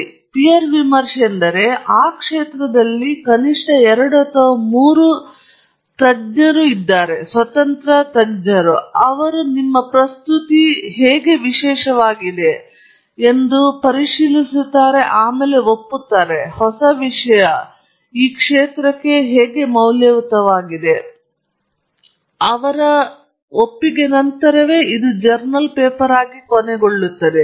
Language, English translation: Kannada, Okay so, peer reviewed means it has been looked at by at least two or three other experts in the field independent experts and they agree that what your presenting is something unique, is something new, is something valuable to the field, and only then it ends up being a journal paper